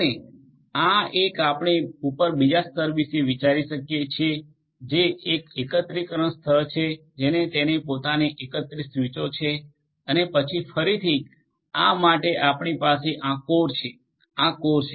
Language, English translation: Gujarati, And this one we can think of another layer up which is the aggregation layer which has it is own aggregated switches and then for this one again we will have this core this is the core right